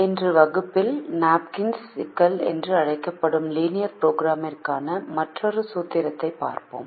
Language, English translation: Tamil, in today's class we will look at another formulation for linear programming which is called the napkins problem